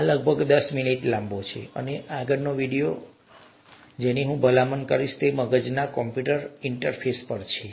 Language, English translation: Gujarati, This is about ten minutes long, and the next video that I would recommend is on a brain computer interface